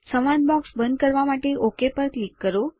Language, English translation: Gujarati, Click on OK to close the dialog box